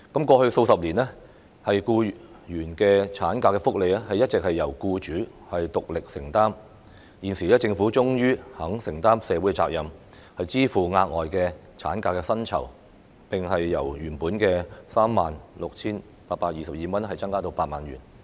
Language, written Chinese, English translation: Cantonese, 過去數十年，僱員產假福利一直由僱主獨力承擔，現時政府終於肯承擔社會責任，支付額外產假薪酬，並由原本的 36,822 元增至 80,000 元。, Throughout the past few decades employers have been alone in shouldering the burden of ML benefits for employees . Now the Government is finally willing to assume social responsibility by funding the additional maternity leave pay MLP and increasing the cap in this respect from the original 36,822 to 80,000